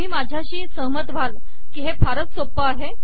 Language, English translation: Marathi, Wouldnt you agree that this is an extremely simple procedure